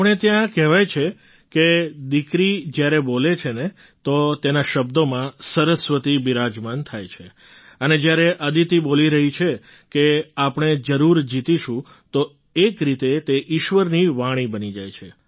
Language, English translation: Gujarati, It is said here that when a daughter speaks, Goddess Saraswati is very much present in her words and when Aditi is saying that we will definitely win, then in a way it becomes the voice of God